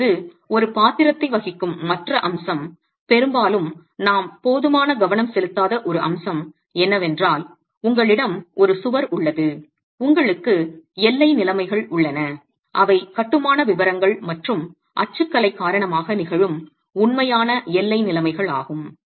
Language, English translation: Tamil, Now the other aspect that does have a role to play which very often we don't give enough attention to is you have a wall, you have boundary conditions that are the real boundary conditions that occur because of the construction detailing and typology